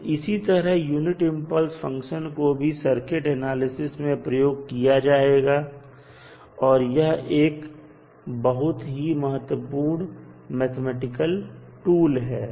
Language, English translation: Hindi, Similar to that also the unit impulse function can also be utilized for our circuit analysis and it is very important mathematical tool